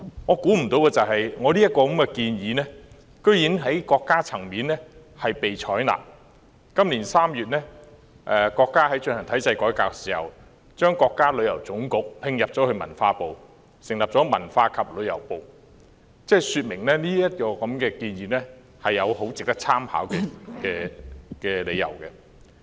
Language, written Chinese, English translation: Cantonese, 我想不到這項建議竟然在國家層面被採納，今年3月國家進行體制改革時，將國家旅遊局併入文化部，成立文化和旅遊部，這說明這項建議有值得參考的理由。, It is actually out of my expectation that this proposal was accepted at the national level . When the State undertake institutional reform in March this year the China National Tourism Administration was merged with the Ministry of Culture to form the Ministry of Culture and Tourism . This illustrates that the proposal is worthy of reference